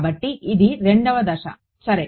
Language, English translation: Telugu, So, this is the second step right